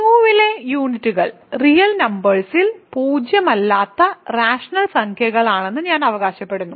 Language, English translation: Malayalam, I claim units in Q are actually all non zero rational numbers